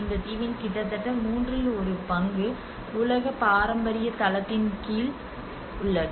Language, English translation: Tamil, So almost one third of this island is under the world heritage site